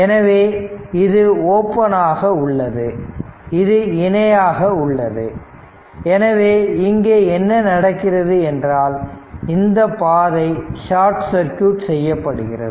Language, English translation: Tamil, And for as soon as it is open it is in parallel, so what is happening here that your this one as this path is sorted